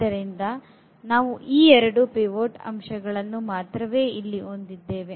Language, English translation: Kannada, So, we have these two pivot elements here